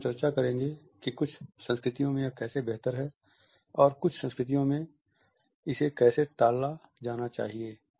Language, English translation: Hindi, Again we shall discuss how in certain cultures it is preferable and how in certain cultures it is to be avoided